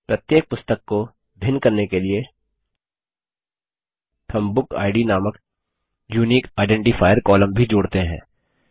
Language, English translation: Hindi, To distinguish each book, let us also add a unique identifier column called BookId